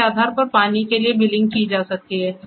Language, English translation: Hindi, So, based on that the billing for water can be done